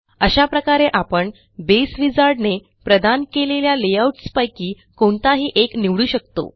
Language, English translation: Marathi, In this way, we can choose any of the layouts that Base Wizard provides